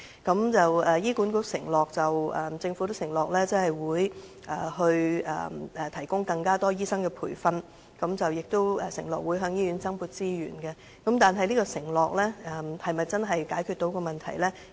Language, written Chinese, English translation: Cantonese, 雖然醫管局及政府均承諾會提供更多醫生培訓，以及向醫院增撥資源，但我們非常憂慮這項承諾能否真正解決問題。, Despite the pledge of HA and the Government that more doctors training and more resources will be provided for hospitals we are very concerned whether this pledge can actually solve the problem